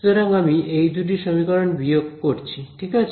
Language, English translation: Bengali, They satisfy these two equations